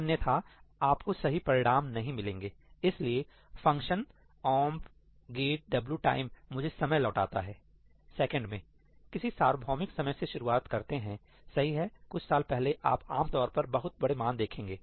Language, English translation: Hindi, So, what omp get wtime returns me is the time in seconds, starting from some universal time, right, some number of years ago you will typically see very large values